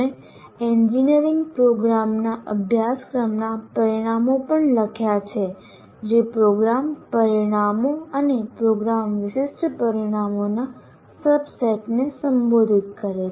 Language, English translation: Gujarati, And we also wrote outcomes of a course in an engineering program that address a subset of a subset of program outcomes and program specific outcomes